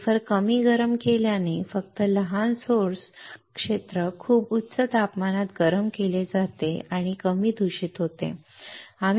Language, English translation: Marathi, Less heating to the wafer right has only small source area is heated to a very high temperature and less contamination